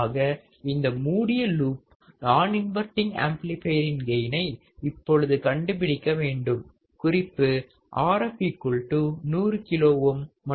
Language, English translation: Tamil, So, find the closed loop gain of following non inverting amplifier circuit if Rf equals to 100 kilo ohms, Rin equals to 10 kilo ohm